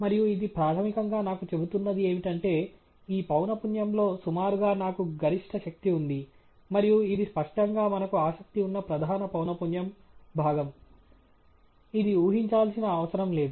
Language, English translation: Telugu, And what it’s basically telling me is that at this frequency, roughly, I have the maximum power; and this obviously, there is don’t need to guess, is the main frequency component that we are interested in